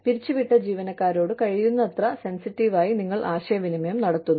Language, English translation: Malayalam, You communicate, to laid off employees, as sensitively as possible